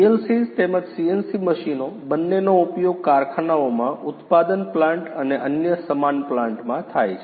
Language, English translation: Gujarati, PLCs as well as CNC machines both are used in factories, the manufacturing plants and other similar plants a lot